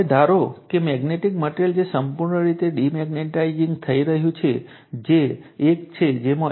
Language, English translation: Gujarati, Now, suppose let a ferromagnetic material, which is completely demagnetized that is one in which B is equal to H is equal to 0